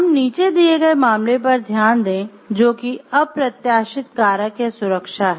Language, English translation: Hindi, So, let us look into the case as given below, which is unanticipated factor or to safety